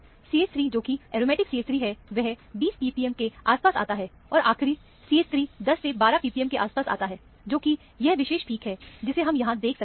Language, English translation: Hindi, The CH 3, which is aromatic CH 3, comes around 20 p p m and the terminal CH 3 would come around 10 to 12 p p m, which is this particular peak that is seen here